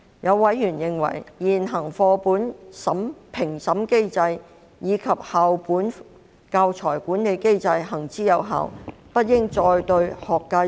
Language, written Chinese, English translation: Cantonese, 有委員認為，現行的課本評審機制及校本教材管理機制行之有效，因此不應再對學界施壓。, Some members opined that the existing textbook review mechanism and school - based mechanism on teaching materials were effective and therefore no further pressure should be exerted on the education sector